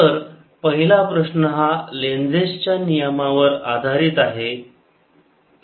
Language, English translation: Marathi, so this first question is based on lenz's law